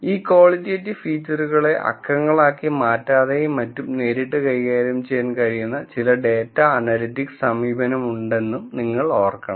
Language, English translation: Malayalam, You also have to remember that there are some data analytics approach, that can directly handle these qualitative features without a need to convert them into numbers and so on